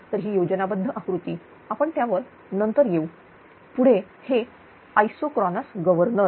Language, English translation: Marathi, So, this is schematic diagram; we will come to that later right next is that isochronous governor